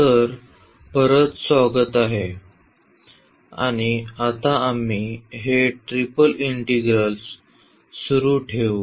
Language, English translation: Marathi, So, welcome back and we will continue now this Triple Integral